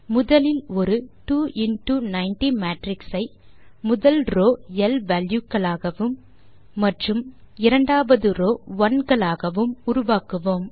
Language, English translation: Tamil, We shall first generate a 2 into 90 matrix with the first row as l values and the second row as ones